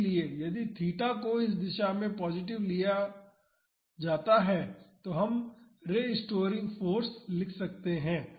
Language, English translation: Hindi, So, if theta is taken positive in this direction, we can write the restoring force